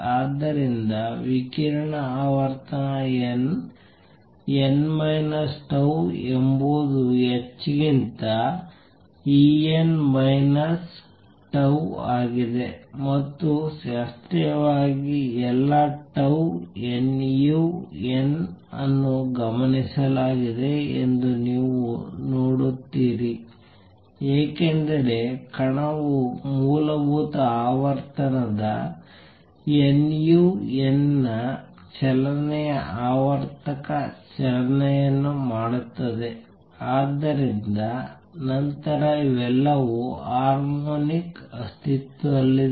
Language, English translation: Kannada, So, radiation frequency n, n minus tau is E n minus E n minus tau over h and you see that classically all tau nu n are observed because the particle makes a motion periodic motion of basic frequency nu n, but then also the all this harmonics exist